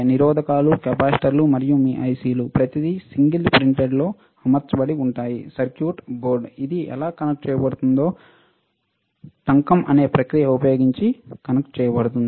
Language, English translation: Telugu, Resistors, capacitors and then your ICs everything mounted on single printed circuit board, how it is how it is connected is connected using a process called soldering